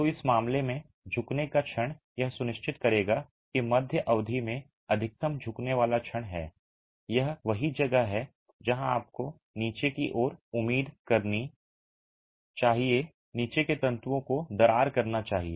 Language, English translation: Hindi, So, the bending moment in this case will ensure that the midspan has the maximum bending moment and that's where you should expect at the bottom the bottom fibers to crack